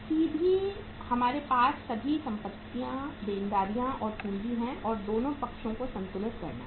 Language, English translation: Hindi, Straightaway we have take all the assets, liabilities, and capital and balance both the sides